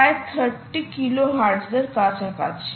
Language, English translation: Bengali, that that's roughly thirty kilohertz